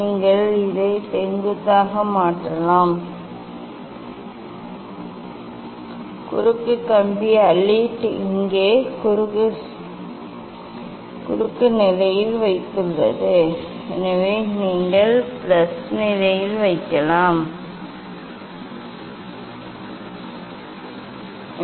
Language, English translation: Tamil, you can make it vertical, cross wire alit have put here in cross position so you can put also in plus position just rotating the cross wire there is a scope